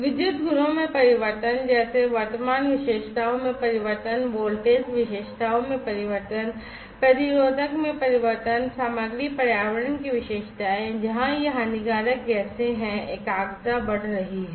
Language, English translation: Hindi, Changes in electrical properties like changes in the current characteristics, changes in the voltage characteristics, changes in the resistive, characteristics of the material the environment, where these harmful gases are the concentration are rising raising